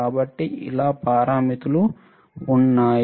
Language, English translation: Telugu, So, many parameters are there right